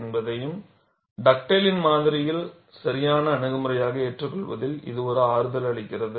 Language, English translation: Tamil, So, this provided a comfort in accepting Dugdale’s model as a valid approach